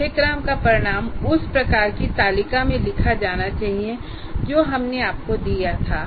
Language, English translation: Hindi, And the course outcome should be written in the kind of table that we have given you below